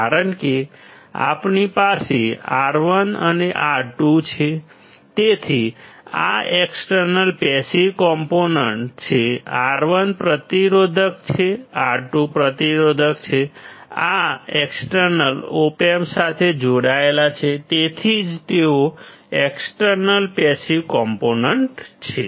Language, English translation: Gujarati, Because we have R2 and R1; so, this is external passive component, R1 is resistor, R 2 is resistor; these are externally connected to the Op amp that is why they are external passive components